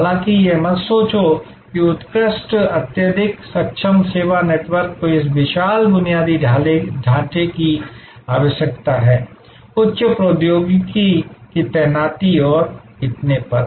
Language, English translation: Hindi, However, do not think that excellent, highly capable service networks necessarily need this huge infrastructure, deployment of high technology and so on